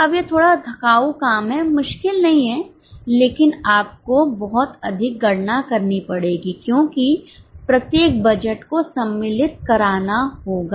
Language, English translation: Hindi, Now, this is a bit tedious calculation, not very difficult but you will to do a lot of calculation because each and every budget will have to be incorporated